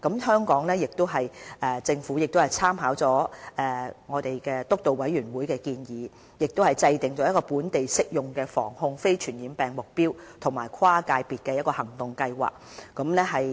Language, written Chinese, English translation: Cantonese, 香港政府亦參考了防控非傳染病督導委員會的建議，制訂了本地適用的防控非傳染病目標和跨界別的行動計劃。, On the basis of the recommendations of the NCD Committee Hong Kong has developed its multisectoral action plan with local NCD targets